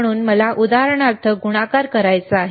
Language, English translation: Marathi, So, I want to do a multiplication for example